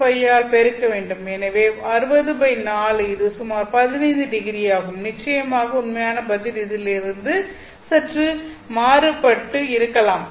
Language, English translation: Tamil, So 60 by 4 this is roughly 15 degrees Of course, the actual answer will be slightly different